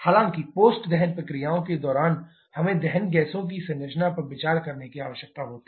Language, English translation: Hindi, However, during the post combustion processes we need to consider the composition of combustion gases